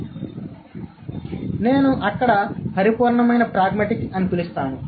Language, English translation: Telugu, So, there's something called pure pragmatics